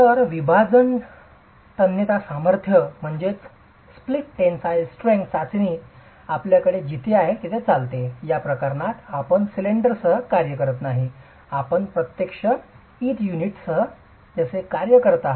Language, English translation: Marathi, So, the split tensile strength test is carried out where you have, in this case you don't work with the cylinder, you are actually working with the brick unit as it is